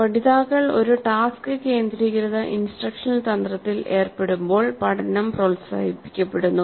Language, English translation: Malayalam, Learning is promoted when learners engage in a task centered instructional strategy